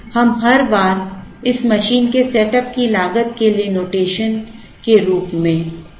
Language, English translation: Hindi, We assume the same notation C naught as the setup cost, every time this machine is setup